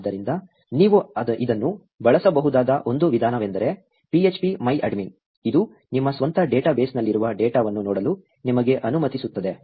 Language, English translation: Kannada, So, one of the ways you could use this actually phpMyAdmin, which actually allows you to look at the data that you have in your own database